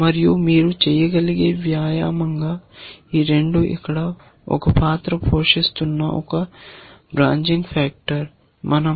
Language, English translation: Telugu, And as an exercise you can so, this 2 is a branching factor that is playing the role here